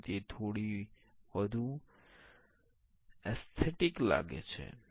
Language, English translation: Gujarati, So, it is looking a bit more aesthetic